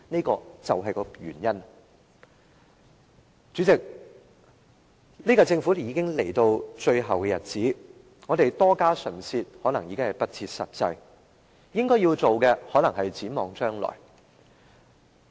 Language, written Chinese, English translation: Cantonese, 代理主席，本屆政府已經來到最後的日子，我們多費唇舌可能已經不切實際，應該要做的可能是展望將來。, Deputy President the current - term Government is drawing to an end . It may not be sensible to waste any more breath on it . Maybe what we should do is to look to the future